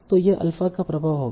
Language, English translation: Hindi, So that would be the effect of these alpha